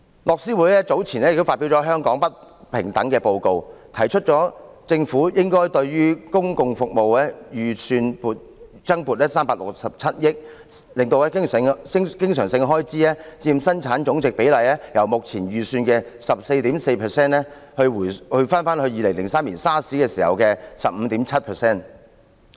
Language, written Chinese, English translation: Cantonese, 樂施會早前亦發表了《香港不平等報告》，提出政府應該對公共服務預算增撥367億元，使經常性開支佔本地生產總值比例由目前預算的 14.4%， 重回2003年 SARS 時的 15.7%。, Oxfam also published the Hong Kong Inequality Report earlier suggesting that the Government should allocate an additional of 36.7 billion to the public service budget so that the ratio of recurrent expenditure to GDP will return to 15.7 % the 2003 figure from the current figure of 14.4 %